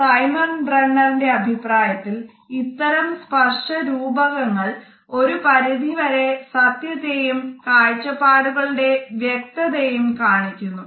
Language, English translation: Malayalam, In the opinion of Simon Bronner, these tactual metaphors suggest is certain level of truth and a clarity of perception